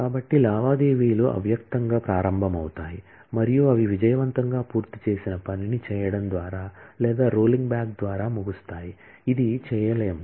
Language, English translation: Telugu, So, come transactions implicitly begin and they end by either committing the work that they have successfully finished or rolling back that, this cannot be done